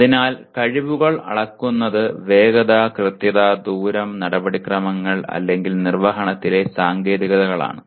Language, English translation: Malayalam, So the skills are measured in terms of speed, precision, distance, procedures, or techniques in execution